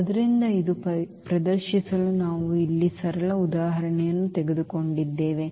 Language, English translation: Kannada, So, just to demonstrate this we have taken the simple example here